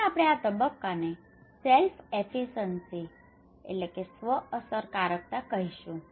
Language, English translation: Gujarati, What we call these phase, this one we call as self efficacy